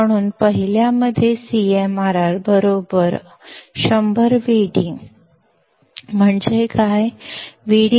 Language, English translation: Marathi, So, in the first one, CMRR equals to 100 Vd is what